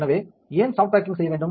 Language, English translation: Tamil, So, why to perform soft baking